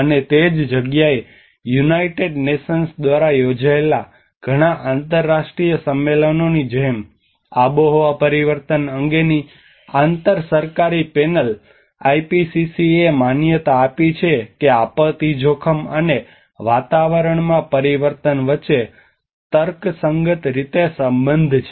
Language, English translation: Gujarati, And that is where like many of the international conventions, frameworks held by United Nations, IPCC the Intergovernmental Panel on climate change have recognized that there is a relationship between disaster risk and climate change in a rational manner